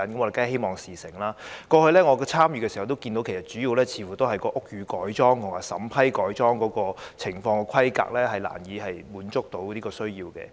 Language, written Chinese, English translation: Cantonese, 過去，在我參與的時候，主要問題似乎也是屋宇改裝或改裝的規格難以滿足要求。, Based on my past participation the major problem seems to be the difficulty in meeting the requirements for building conversion